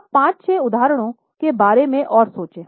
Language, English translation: Hindi, Now think of another 5 6 examples